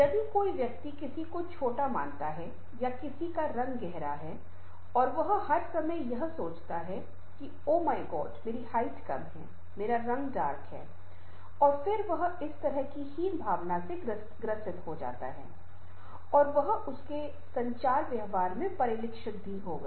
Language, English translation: Hindi, that also, if a person, suppose somebody short or somebody color is dark, and all the time he or she is thinking that, oh my god, my height is short, my color is dark, and then she or he will be suffering from some sort of inferiority complex and that will be reflected in his or her communication behavior